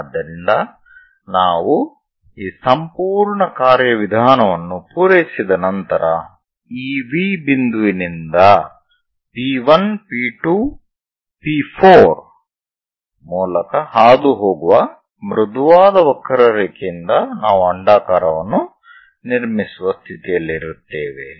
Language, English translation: Kannada, So, once we are done with this entire procedure, a smooth curve passing through this V point P 1 P 2 P 4 and so on, we will be in a position to construct an ellipse